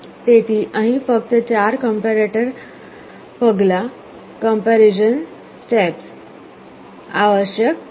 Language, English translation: Gujarati, So, here only 4 comparison steps are required